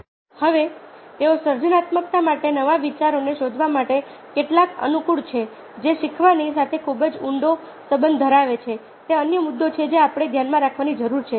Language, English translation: Gujarati, now, how conducive are they to exploring new ideas, to creativity, which is very deeply linked with learning is another issue that we need to have in mind